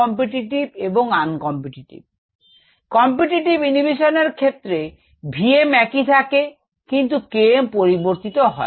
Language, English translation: Bengali, in the case of competitive inhibition, v m remains the same